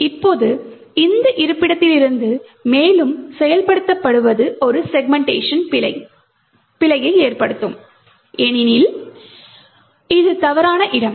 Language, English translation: Tamil, Now further execution from this location would result in a segmentation fault because this is an invalid location